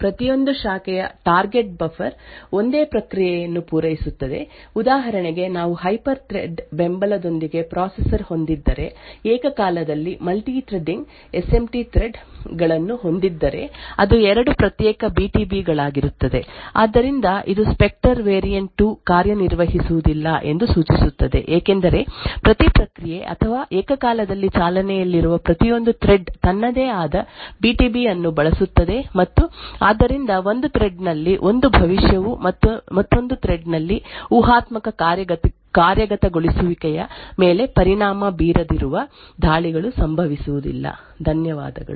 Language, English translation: Kannada, Each branch target buffer would cater to single process so for example if we had a processer with hyperthread supported, Simultaneously Multithreading SMT threads then that would be two separate BTBs that are present so this would imply that the Spectre variant 2 will not work because each process or each thread which is running simultaneously would be using its own BTB and therefore the attacks where one prediction in one thread affecting speculative execution in another thread will not happen, thank you